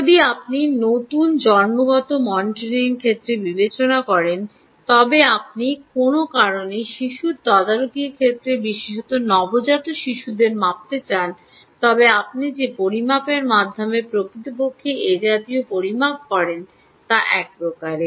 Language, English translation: Bengali, if you take the case of new natal monetary, if you take the case of baby monitoring, particularly newborn babies, you want to measure them for some reason, ah um, then the measurement, the way by which you actually make such a measurement, is one type